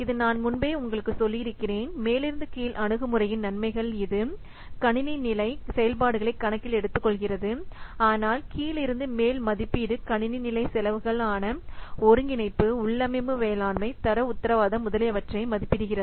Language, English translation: Tamil, This I have already told you earlier, the advantages of top down approach that it takes into account the system level activities but bottom of estimation may overlook many of the system level costs as integration, conclusion management, etc